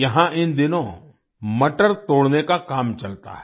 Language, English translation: Hindi, Here, these days, pea plucking goes on